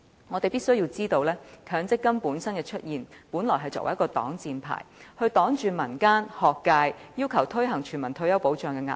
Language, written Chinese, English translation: Cantonese, 我們必須知道，強積金的出現，本來是作為一個擋箭牌，擋着民間和學界要求推行全民退休保障的壓力。, We should understand that MPF was established as a shield against pressures exerted by the public and academia to implement a universal retirement protection system